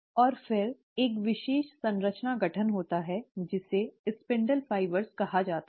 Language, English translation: Hindi, And then, there is a special structure formation taking place called as the spindle fibres